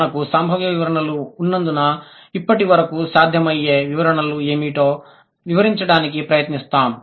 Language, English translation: Telugu, Since we have the probable, probable explanations, now we'll try to explain what are the possible explanations out of these